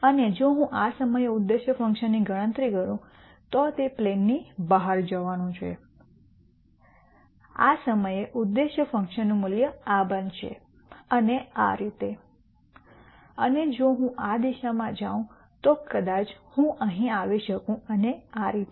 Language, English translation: Gujarati, And if I compute the objective function at this point it is going to be outside the plane this is going to be the value of the objective function at this point and so on and if I go this direction I might come here and so on